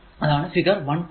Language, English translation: Malayalam, So, table 1